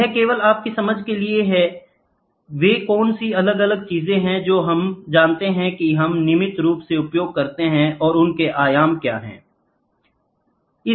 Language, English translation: Hindi, This is just for your understanding, what are the different things which we know which we use regularly and what is their dimensions